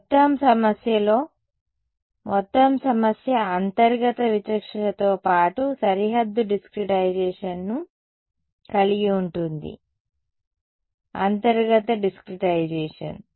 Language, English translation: Telugu, In the total problem, the total problem has a interior discretization as well as boundary discretization; interior discretization